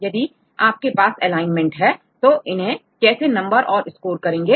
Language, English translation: Hindi, Now, if you have this alignment, how to give numbers how to get score